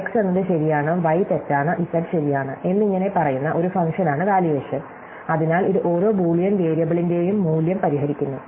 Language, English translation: Malayalam, Valuation is a function that says x is true, y is false, z is true and so on, so it fixes the value of each Boolean variable